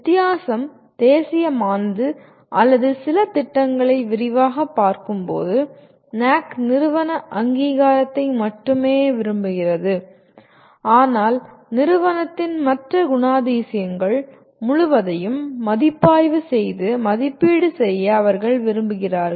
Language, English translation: Tamil, The difference is National or the NAAC wants only the institutional accreditation while they look at some programs in detail, but they want a whole bunch of other characteristics of the institute to be reviewed and evaluated